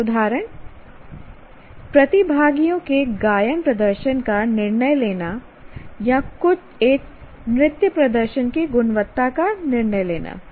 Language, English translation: Hindi, So some examples are judge the singing performance of participants or judge the quality of a dance performance